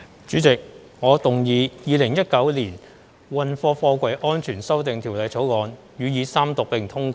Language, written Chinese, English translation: Cantonese, 主席，我動議《2019年運貨貨櫃條例草案》予以三讀並通過。, President I move that the Freight Containers Safety Amendment Bill 2019 Be read the Third Time and do pass